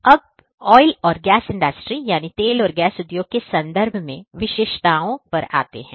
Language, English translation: Hindi, Now, let us come to the specificities in terms of Oil and Gas Industry